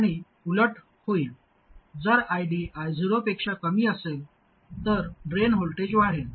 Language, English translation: Marathi, And the opposite happens if ID is less than I 0, then the drain voltage would increase